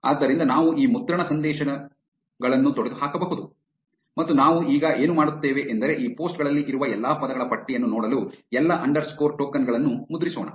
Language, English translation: Kannada, So, we can get rid of these print messages and what we will now do is and let us just print all underscore tokens to see a list of all the words that are present in these posts